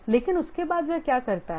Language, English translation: Hindi, But after that what does he do